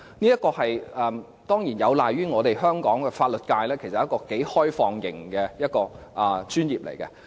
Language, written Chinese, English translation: Cantonese, 這當然有賴於香港的法律界其實是頗為開放型的專業。, It is certainly attributable to the fact that Hong Kongs legal sector is pretty much an open - type profession